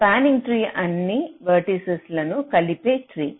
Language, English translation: Telugu, a spanning tree is a tree that covers all the vertices